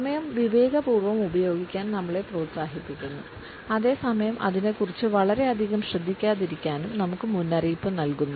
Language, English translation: Malayalam, We are encouraged to use time wisely and at the same time we may also be cautioned not to be too obsessive about it